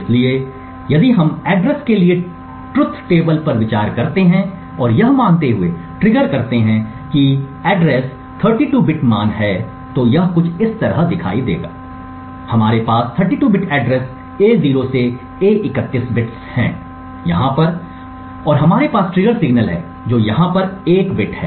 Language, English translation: Hindi, So if we consider the truth table for address and trigger assuming that address is a 32 bit value, it would look something like this, we have the 32 bits of the address A0 to A31 over here and we have the triggered signal which is a single bit over here